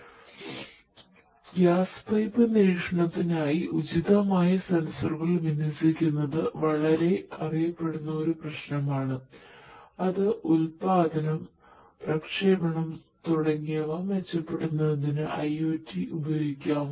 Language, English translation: Malayalam, So, basically the deployment of appropriate sensors for gas pipe monitoring is a is a very well known problem and that is an application of IoT to improve the production, the transmission, the generation and so on